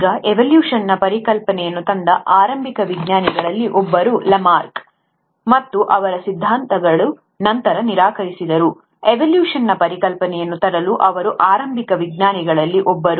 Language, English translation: Kannada, Now one of the earliest scientist who brought in the concept of evolution was Lamarck, and though his theories were disproved later, he still was one of the earliest scientist to bring in that very concept of evolution